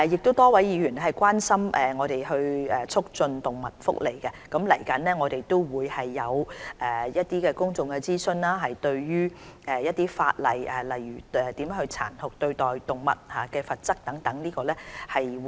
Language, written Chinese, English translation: Cantonese, 多位議員亦關心促進動物福利，我們即將就有關法例進行公眾諮詢，例如殘酷對待動物的罰則等。, Many Members are also concerned about promoting animal welfare . We are going to conduct a public consultation on the relevant legislation such as the provision on the penalty for cruelty to animals